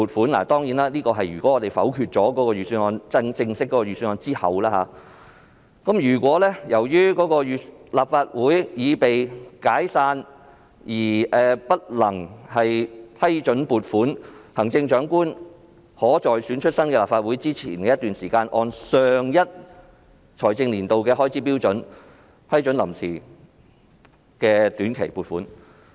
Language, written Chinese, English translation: Cantonese, "當然，這兒所說的是如議員否決了正式的預算案後，"如果由於立法會已被解散而不能批准撥款，行政長官可在選出新的立法會前的一段時期內，按上一財政年度的開支標準，批准臨時短期撥款。, What it is referring to is of course a situation where a budget formally introduced has been negatived by Members of this Council and [i]f appropriation of public funds cannot be approved because the Legislative Council has already been dissolved the Chief Executive may prior to the election of the new Legislative Council approve provisional short - term appropriations according to the level of expenditure of the previous fiscal year